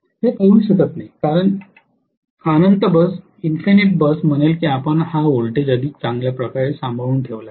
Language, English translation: Marathi, It cannot, because the infinite bus would say you better maintain this voltage